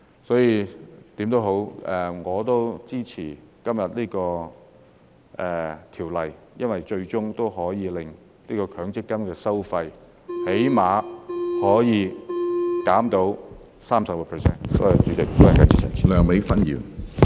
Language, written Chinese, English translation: Cantonese, 所以，無論如何，我支持今天這項修例，因為最終可以令強積金的收費減低最少 30%。, Hence in any case I support this legislative amendment today because it can ultimately reduce the MPF fees by at least 30 %